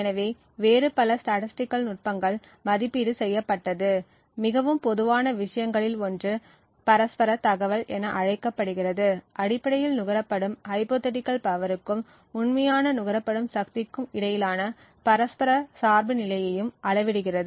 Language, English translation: Tamil, So, there are various other statistical techniques which have been evaluated, one of the most common things is known as the mutual information which essentially quantifies the mutual dependence between the hypothetical power consumed and the real power consumed